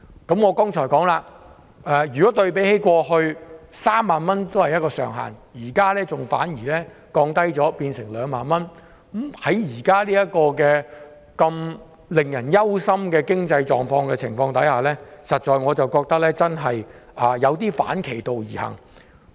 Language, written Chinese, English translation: Cantonese, 正如我剛才指出，對比過去的3萬元上限，現時反而降低至2萬元，在現時如此令人憂心的經濟狀況下，我實在覺得這真的有點兒反其道而行。, As I just said the tax reduction ceiling of 30,000 in the past has been lowered to 20,000 . Given the distressing economic condition at present I truly think that this is a regressive measure